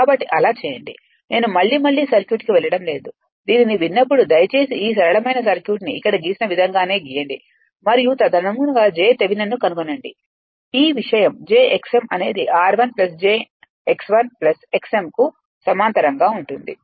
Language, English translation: Telugu, So, if you if you do so, look at the circuit again and again I am not going to the circuit; when you listen to these you please draw the simple circuit and the way it has been drawn here and accordingly what you do that your this thing that find out j Thevenin literally r one plus j x 1 parallel to j x m